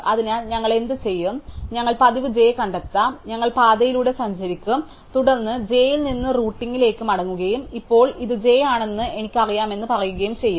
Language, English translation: Malayalam, So, what we will do is, we will do the usual find j, so we will traverse the path and then we will go back from j to the root and say now I know this is j